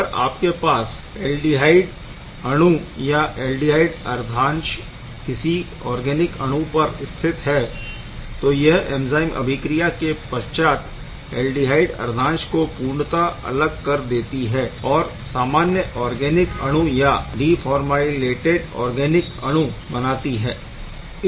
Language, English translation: Hindi, If you have an aldehyde molecule or aldehyde moiety and be completely removed from the organic molecule: to give rise to the simple organic molecule or deformylated organic molecule